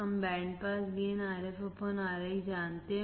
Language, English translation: Hindi, We know the band pass gain=Rf/Ri